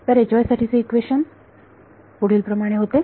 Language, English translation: Marathi, So, equation for H y was the following